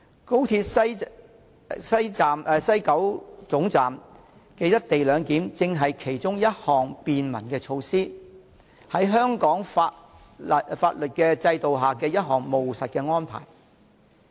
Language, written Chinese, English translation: Cantonese, 高鐵西九總站的"一地兩檢"安排正是其中一項合乎香港法律制度的務實便民措施。, Implementing the co - location arrangement at the West Kowloon Station of the Hong Kong Section of XRL is one of these pragmatic and convenient measures and it is in line with legal provisions of Hong Kong